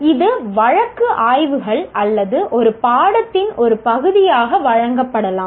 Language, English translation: Tamil, This can be given through as case studies are part of a course or whatever have you